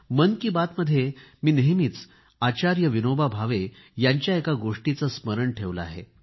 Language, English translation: Marathi, In Mann Ki Baat, I have always remembered one sentence of Acharya Vinoba Bhave